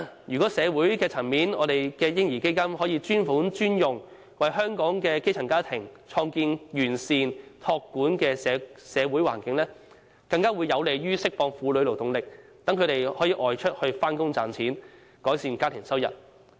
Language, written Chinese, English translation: Cantonese, 如果社會層面的"嬰兒基金"可以專款專用，為香港的基層家庭創建完善託管的社會環境，將更有利釋放婦女勞動力，讓她們可以外出工作賺錢，增加家庭收入。, If the money under the social level of the baby fund can be used for designated purposes to create a holistic community child care environment for grass - roots families it will be conducive to freeing women to join the labour force so that they can go out to work and increase the income of their families